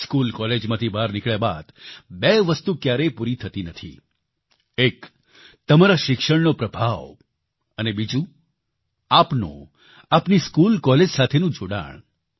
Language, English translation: Gujarati, After leaving school or college, two things never end one, the influence of your education, and second, your bonding with your school or college